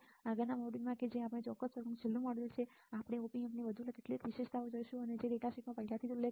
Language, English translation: Gujarati, In the next module which is the last module of this particular lecture, we will see further few further characteristics of Op Amp there are already mentioned in the data sheet all right